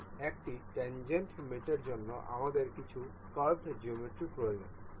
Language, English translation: Bengali, So, for tangent for tangent mate we need some curved geometry